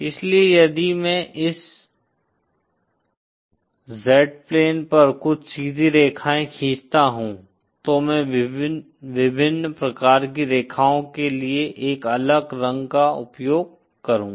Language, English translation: Hindi, So if I draw some straight lines on the Z plane, IÕll use a different color for different types of lines